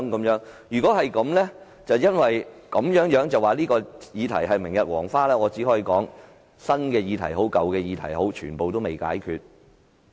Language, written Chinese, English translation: Cantonese, 如果因此便說這議題是明日黃花，我只可以說無論是新議題或舊議題，全部也未解決。, If you apply this reason and say that the subject today is a thing of the past I can only say that all issues old and new are yet to be resolved